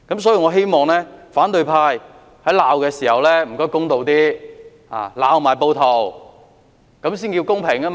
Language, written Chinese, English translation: Cantonese, 所以，我希望反對派在責罵時公道一點，也要責罵暴徒，才算公平。, I thus hope that the opposition camp can make fair criticism and criticize the rioters as well